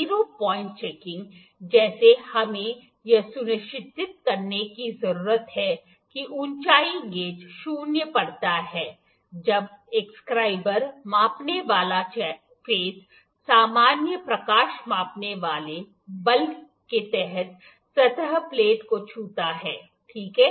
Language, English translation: Hindi, Zero point checking like we need to make sure that the height gauge reads zero when a scriber measuring face touches the surface plate while under the normal light measuring force, ok